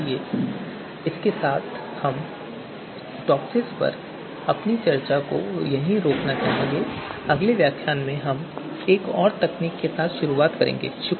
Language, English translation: Hindi, So with this we would like to stop our discussion on TOPSIS and in the next lecture we will start with another technique